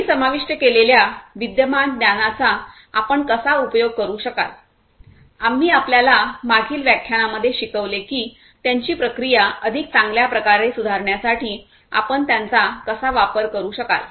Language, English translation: Marathi, How you could use those existing knowledge that we have covered, we have taught you in the previous lectures how you could use them in order to improve their processes better